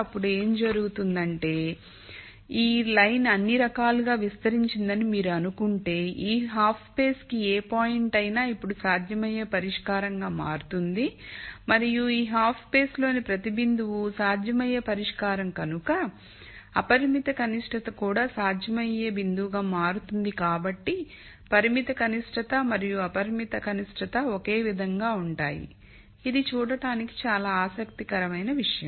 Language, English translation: Telugu, Then what happens is if you think of this line is extended all the way, any point to this half space now becomes a feasible solution and because every point in this half space is a feasible solution the unconstrained minimum also becomes a feasible point so the constrained minimum and unconstrained minimum are the same so this is an interesting thing to see